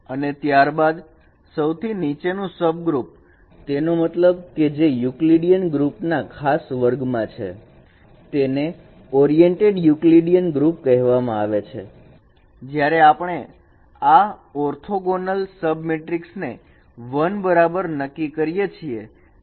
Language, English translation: Gujarati, And then the bottom most subgroup, that means which is also a special category of Euclidean group is called oriented Euclidean group when the determinant of these orthogonal sub matrix should be equal to 1